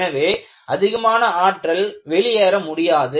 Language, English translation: Tamil, So, more energy cannot be dissipated